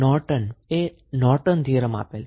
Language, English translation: Gujarati, Norton gave the theory called Norton's Theorem